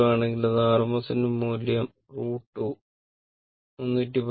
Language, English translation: Malayalam, If it is AC 220, means it is rms value